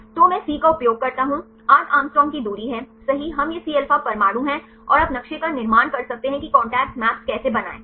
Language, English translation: Hindi, So, I use the C is the distance of 8 Å right we can these are the Cα atoms and you can construct maps how to construct a contact map